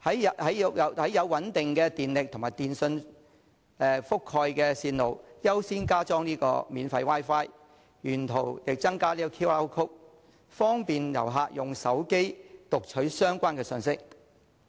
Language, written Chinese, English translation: Cantonese, 在有穩定電力供應和電訊信號覆蓋的線路優先加裝免費 Wi-Fi， 沿途增加 QR code， 方便旅客用手機讀取相關信息。, In areas with stable electricity supply and telecommunication coverage the Government can provide free Wi - Fi and QR codes along the routes to facilitate visitors reading the relevant information with their mobile phones